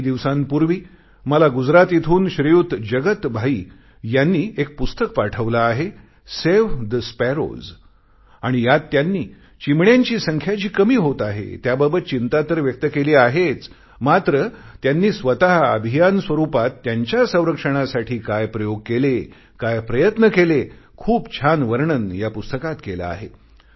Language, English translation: Marathi, Jagat Bhai from Gujarat, had sent his book, 'Save the Sparrows' in which he not only expressed concern about the continuously declining number of sparrows, but also what steps he has taken in a mission mode for the conservation of the sparrow which is very nicely described in that book